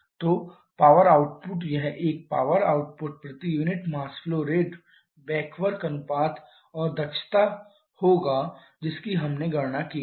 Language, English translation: Hindi, So, power output will be this one power output per unit mass flow rate back work ratio and cycle efficiency we have calculated